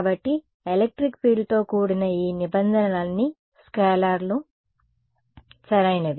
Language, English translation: Telugu, So, all of these terms accompanying the electric field are scalars right